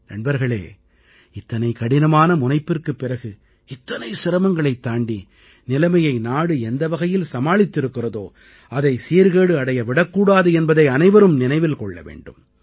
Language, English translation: Tamil, all of us also have to bear in mind that after such austere penance, and after so many hardships, the country's deft handling of the situation should not go in vain